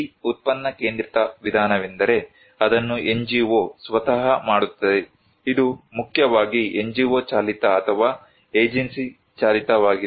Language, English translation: Kannada, This product centric approach where it is done by the NGO itself, it is mainly NGO driven or agency driven